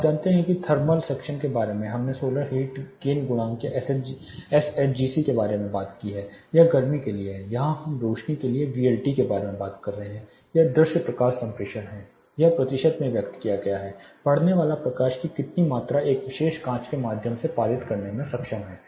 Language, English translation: Hindi, (Refer Slide Time: 28:01) You know thermal section we talked about something called solar heat gain coefficient or SHGC this is for heat we talked about SHGC, here for light we are talking about VLT that is visible light transmittance this is expressed in percentage how much amount of the incidence light is able to be pass through a particular glass